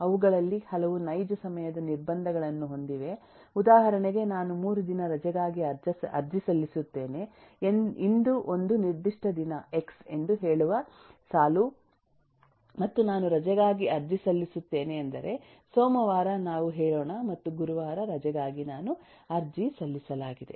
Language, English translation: Kannada, for example, I apply for a leave 3 days down the line, say today, eh is a certain day, x and I, I apply for a leave I mean monday, let’s say and am applying for a leave on thursday